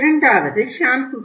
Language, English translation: Tamil, Second was shampoos